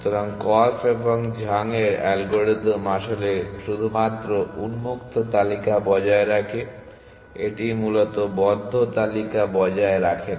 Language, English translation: Bengali, So, Korf and Zhang’s algorithm actually maintains only the open list it does not maintain the close list at all essentially